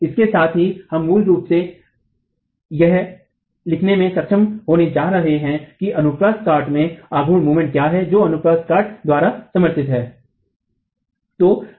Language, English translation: Hindi, So, with that we are basically going to be able to write down what is the moment in the cross section supported by the cross section itself